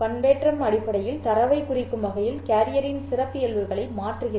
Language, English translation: Tamil, Modulation is basically changing the characteristic of the carrier in order to represent the data